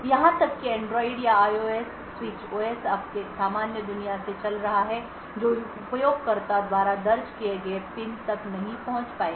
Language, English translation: Hindi, Even the Android or IOS switch OS running from your normal world would not be able to have access to the PIN which is entered by the user